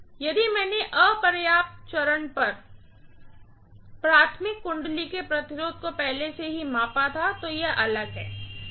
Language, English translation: Hindi, If I had measured the resistance already of the primary winding right at the insufficient stage, then it is different